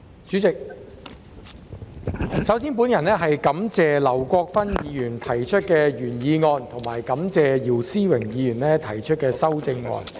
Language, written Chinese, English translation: Cantonese, 主席，首先，我感謝劉國勳議員提出原議案和姚思榮議員提出修正案。, President to start with I would like to thank Mr LAU Kwok - fan for proposing the original motion and Mr YIU Si - wing for proposing the amendment